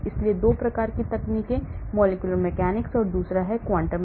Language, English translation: Hindi, so 2 types of techniques, the molecular mechanics, and the other one is the quantum mechanics